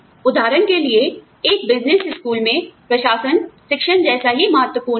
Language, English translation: Hindi, For example, in a business school, administration is just as important as teaching